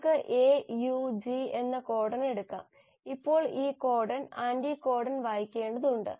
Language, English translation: Malayalam, So if you have, let us say a codon AUG; now this codon has to be read by the anticodon